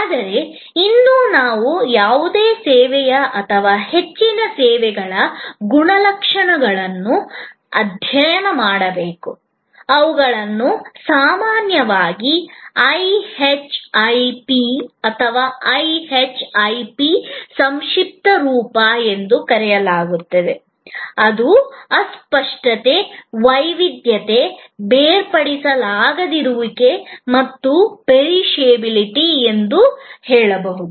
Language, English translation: Kannada, But, yet we must study these characteristics of any service or most services, which are often called IHIP or IHIP acronym for Intangibility, Heterogeneity, Inseparability and Perishability